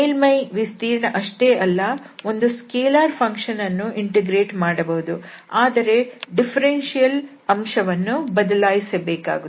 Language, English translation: Kannada, Also we have seen that not only the surface area, we can integrate a function also a scalar function, again the differential element will be replaced